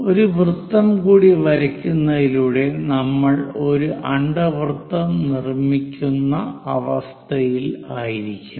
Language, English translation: Malayalam, By drawing one more circle, we will be in a position to construct an ellipse